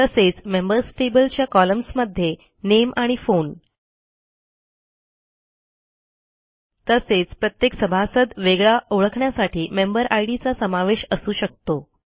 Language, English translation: Marathi, Similarly, a Members table can have columns like Name and Phone, And a Member Id to uniquely identify or distinguish each member